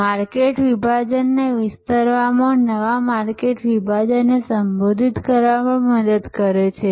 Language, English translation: Gujarati, It also helps to expand the market segment, address a new market segment and so on